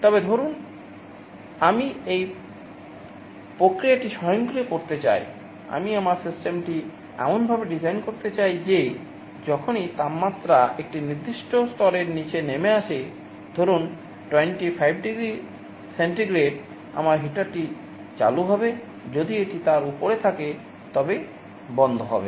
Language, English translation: Bengali, But, suppose I want to automate this process, I want to design my system in such a way that whenever the temperature falls below a certain level, let us say 25 degree centigrade, I should turn on the heater, if it is above I should turn off